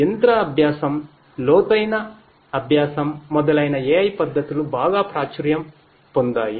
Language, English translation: Telugu, AI techniques such as machine learning, deep learning etc